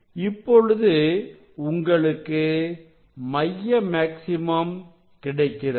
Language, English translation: Tamil, it is coming closer to the central maxima